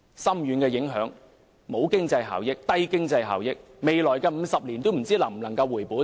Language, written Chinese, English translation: Cantonese, 高鐵影響深遠，經濟效益低，未來50年也不知能否回本。, XRL has far - reaching implications and low economic benefits and we wonder whether its costs can be recovered in the next 50 years